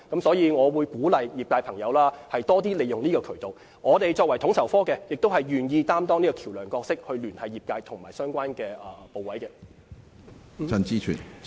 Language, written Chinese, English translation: Cantonese, 所以，我鼓勵業界多使用這個渠道，而統籌科亦願意擔當橋樑角色，聯繫業界和相關部門。, I thus encourage the industry to use this channel more and FSO is more than willing to act as a bridge between the industry and the relevant departments